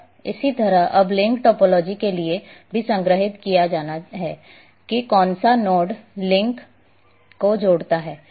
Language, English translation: Hindi, And similarly for link topology now that has to be stored that which nodes connects the link